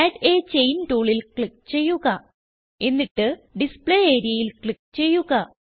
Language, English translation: Malayalam, Click on Add a Chain tool, and then click on Display area